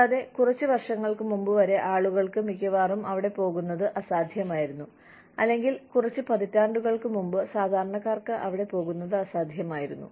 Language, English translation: Malayalam, And, till a few years ago, it was almost impossible for people to, or a few decades ago, it was impossible for normal people, to go there